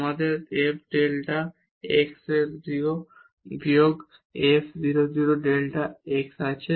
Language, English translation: Bengali, We have f delta x 0 minus f 0 0 delta x